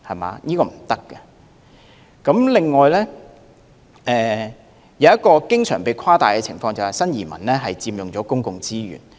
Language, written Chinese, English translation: Cantonese, 還有一種經常被誇大的情況，便是新移民佔用公共資源。, Another situation that has often been exaggerated is that new arrivals have taken up our public resources